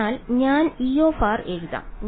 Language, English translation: Malayalam, So, I will write E r